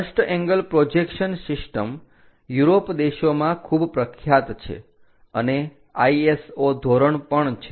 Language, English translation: Gujarati, The first angle projection system is very popular in European countries and also for ISO standards